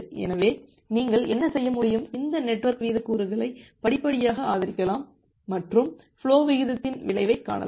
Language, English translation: Tamil, So, what you can do that you can gradually increase this network rate component and observe the effect on the flow rate